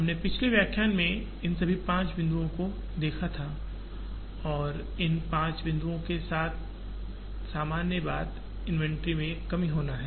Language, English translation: Hindi, We saw all these five points in the previous lecture and the common thread that goes along these five points is the reduction in inventory